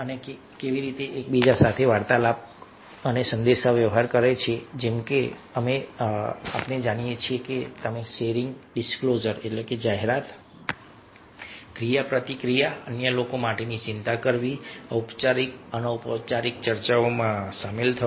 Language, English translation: Gujarati, and communication, as you know, it includes several things: sharing, disclosure, interacting, having formal, informal discussions have been concerned for others